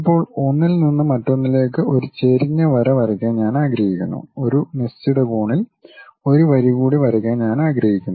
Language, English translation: Malayalam, Now, I would like to have an inclined line from one to other and I would like to draw one more line with certain angle